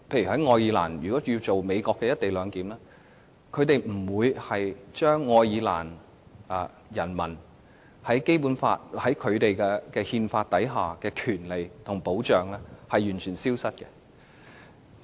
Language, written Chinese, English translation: Cantonese, 例如，在愛爾蘭要進行美國的"一地兩檢"，愛爾蘭政府不會令其人民失去該國憲法所授予的權利和保障。, For instance when going through United States co - location clearance in Ireland Irish nationals are not deprived of their constitutional rights and safeguards